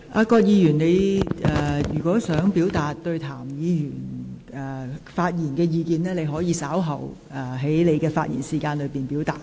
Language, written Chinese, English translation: Cantonese, 葛議員，如你對譚議員的發言有意見，你可於稍後發言時表達。, Dr Elizabeth QUAT if you take exception to Mr TAMs remark you may express your views when you speak later on